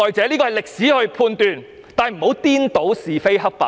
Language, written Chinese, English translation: Cantonese, 這由歷史去判斷，但不應顛倒是非黑白。, This should be left to the judgment of history but we should not confuse right and wrong